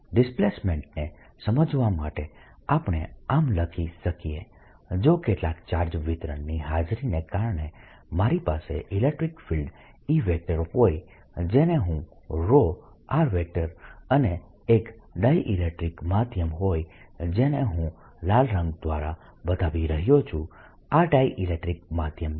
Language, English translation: Gujarati, to understand displacement, let us then write that if i have electric field e due to the presence of some charge distribution, which i'll call rho, and a dielectric medium, which i am showing by red, this is the dielectric medium